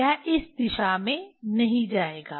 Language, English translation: Hindi, it will not go in this direction